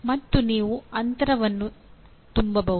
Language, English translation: Kannada, And you can fill the gap